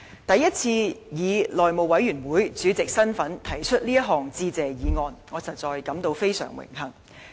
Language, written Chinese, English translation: Cantonese, 第一次以內務委員會主席身份提出這項致謝議案，我實在感到非常榮幸。, It is honestly my honour to move a Motion of Thanks for the first time as the House Committee Chairman